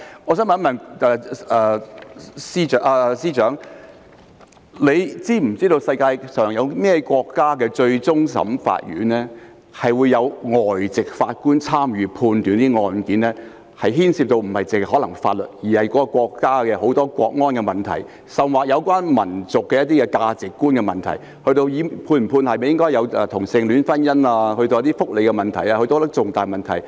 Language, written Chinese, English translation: Cantonese, 我想問司長是否知道，世界上有哪些國家的終審法院會有外籍法官參與審判案件，而案件不僅牽涉法律，還牽涉國安問題，甚或有關民族的價值觀的問題，以至應否有同性戀婚姻或福利等方面的重大問題？, May I ask the Chief Secretary whether any countries in the world have invited foreign judges to sit on their courts of final appeal for cases involving not only legal but also national security issues issues relating to national values or even major issues such as gay marriage or welfare benefits?